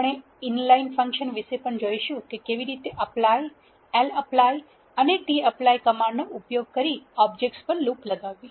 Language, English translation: Gujarati, We will also see about inline functions how to loop over objects using the commands apply, lapply and tapply